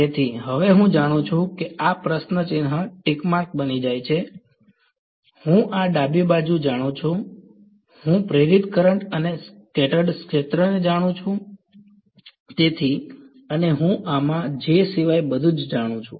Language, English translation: Gujarati, So, now I know this question mark becomes a tick mark, I know this the left hand side I know the induced current and the scattered field therefore, and I know everything in this except J